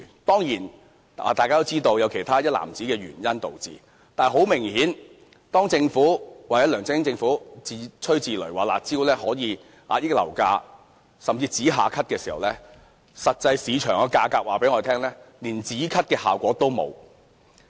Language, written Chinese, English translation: Cantonese, 當然，大家都知道有其他一籃子的原因導致，但是，很明顯，當政府或梁振英政府自吹自擂說"辣招"可遏抑樓價，甚至可以"止咳"時，實際上，市場的價格告訴大家，連"止咳"的效果也欠奉。, We of course know that this is due to a basket of other reasons . However it is very obvious that when the Government or the LEUNG Chun - ying Government is boasting that the drastic measures can curb property prices or can even achieve immediate effect the market prices actually tell us that even an immediate effect cannot be seen